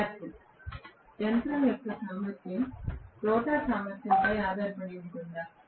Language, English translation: Telugu, Student: Efficiency of the machine will depend on the rotor efficiency